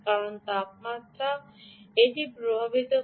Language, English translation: Bengali, because temperature is affecting it